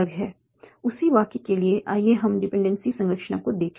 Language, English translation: Hindi, For the same sentence, let us look at the dependency structure